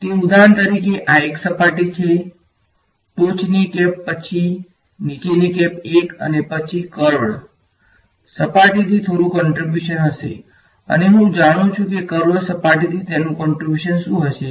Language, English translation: Gujarati, So, it so this for example, this is one surface the top cap then the bottom cap 1 right and then there is going to be some contribution from the curved surface and I know that contribution from the curved surface what will happen to it